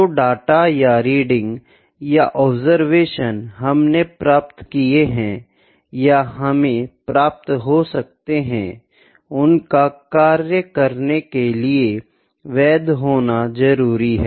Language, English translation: Hindi, The data or the readings or the observations that we have gained or that we have obtained are to be valid to work on them